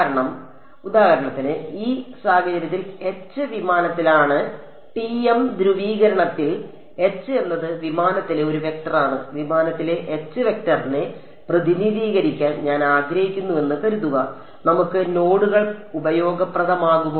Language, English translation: Malayalam, Because for example, in this case H is in plane; in the TM polarization H is a vector in plane, supposing I wanted to represent the H vector in plane, will the nodes we useful for me